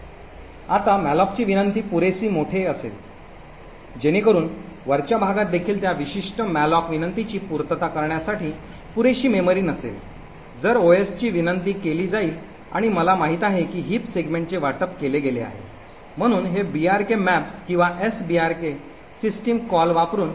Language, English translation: Marathi, Now if the malloc request was large enough so that even the top chunk does not have sufficient memory to satisfy that particular malloc request then the OS gets invoked and I knew heap segment gets allocated, so this is done using the brk in maps or the sbrk system calls